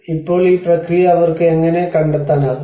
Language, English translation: Malayalam, Now, how do they able to figure out this process